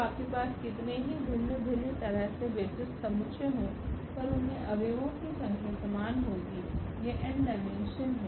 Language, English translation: Hindi, So, whatever you have different different set of basis, but they will have the same number of elements because that is the n that is a dimension